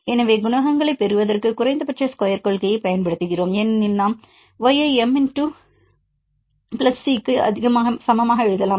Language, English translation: Tamil, So, then we use the principle of least squares to obtain the coefficients because we can write y equal to m x plus c; if there is only one variable; if it is more you can extend